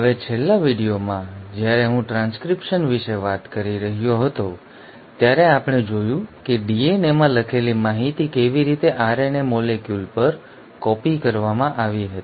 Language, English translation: Gujarati, Now in the last video when I was talking about transcription we saw how the information which was written in DNA was copied onto an RNA molecule